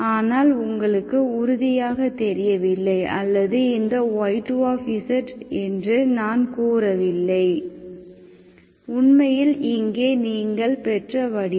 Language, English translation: Tamil, But you are not sure, this is, this you are not, I am not claiming that this y2z is actually the form what you got for here